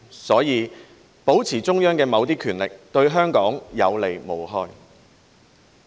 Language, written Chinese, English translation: Cantonese, 所以，保持中央的某些權力，對香港有利無害。, Therefore it is to Hong Kongs advantage not its disadvantage for the Central Government to retain some power there